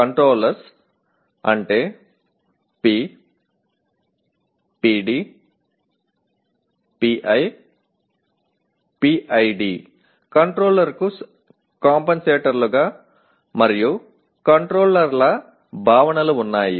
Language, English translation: Telugu, Controllers means P, PD, PI, PID controllers have the concepts of compensators and controllers